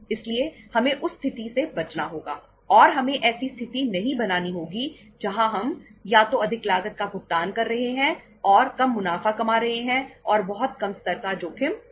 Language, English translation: Hindi, So we will have to avoid that situation and we will have not to create a situation where we are either paying the higher cost earning lesser profits and taking very low level of the risk